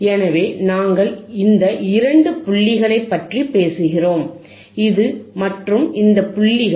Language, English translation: Tamil, So, we are talking about these 2 points, this and theseis points